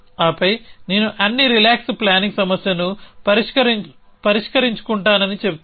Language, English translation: Telugu, And then I will say have solve all the relax planning problem